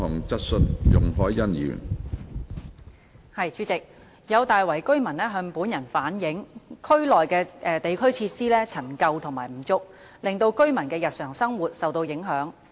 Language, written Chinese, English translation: Cantonese, 主席，有大圍居民向本人反映，區內地區設施陳舊和不足，令居民的日常生活受到影響。, President some residents of Tai Wai have relayed to me that the district facilities in the area are decrepit and insufficient affecting the residents daily lives